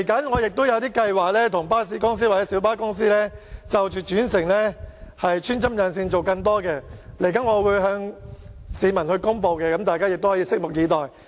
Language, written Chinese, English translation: Cantonese, 我未來也會為巴士公司與小巴公司的轉乘安排穿針引線，提供更多服務，我稍後將會向市民公布，大家可以拭目以待。, I will line up bus companies and minibus companies to provide interchange arrangements and additional services in the future . I will make an announcement later . All of you can wait and see